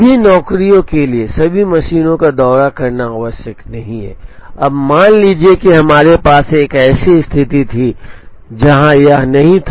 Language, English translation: Hindi, It is not necessary for all the jobs to visit all the machines, now suppose we had a situation where this one was not there